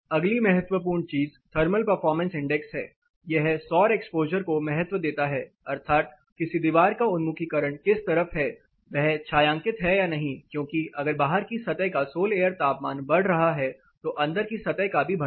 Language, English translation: Hindi, The next important thing thermal performance index it gives you know weightage to the solar exposure that is the orientation to which the particular wall is facing and whether it is shaded or not, because if the sol air temperature or the outside surfaces is getting higher the inside surface is going to go high